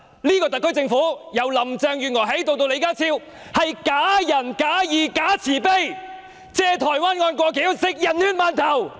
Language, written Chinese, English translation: Cantonese, 這個特區政府，由林鄭月娥至李家超都是假仁假義、假慈悲，藉台灣案"過橋"，他們是吃人血饅頭。, This SAR Government comprising of officials from Carrie LAM to John LEE is only pretending to be kind righteous and merciful . These people are piggybacking on the Taiwan case and they are eating buns dipped in a dead persons blood